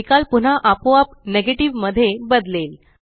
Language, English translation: Marathi, The result again automatically changes to Negative